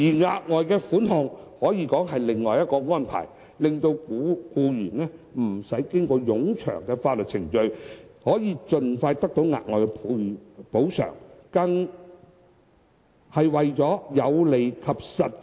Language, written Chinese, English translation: Cantonese, 額外款項可以說是另一種安排，令到僱員不用經過冗長的法律程序，可以盡快得到額外補償，因而更為有利及實際。, The further sum arrangement offers an alternative arrangement under which employees can obtain the further sum the soonest possible without going through protracted and tedious legal proceedings . This arrangement is thus more beneficial and practicable